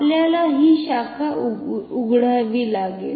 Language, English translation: Marathi, We have to cut open this branch